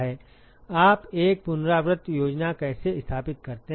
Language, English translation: Hindi, How do you set up an iterative scheme